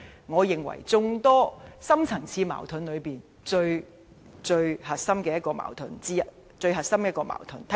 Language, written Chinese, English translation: Cantonese, 我認為這範疇是眾多深層次矛盾中，最核心的矛盾。, I reckon that this subject is the core of the deep - rooted problems in our city